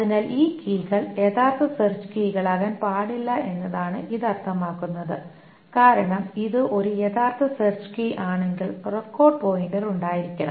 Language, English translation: Malayalam, So, what does this mean is that these keys cannot be actual search keys because if it is an actual search key, the record pointer must be present